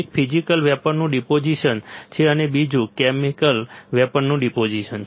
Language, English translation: Gujarati, One is physical vapour deposition and another one is chemical vapour deposition